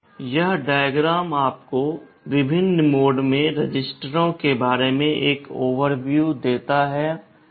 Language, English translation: Hindi, This diagram gives you an overview about the registers in the different modes